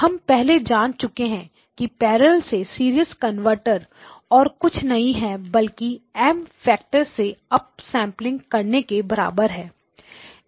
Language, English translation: Hindi, Parallel to serial converter we have already seen is nothing but a parallel you up sample by a factor of M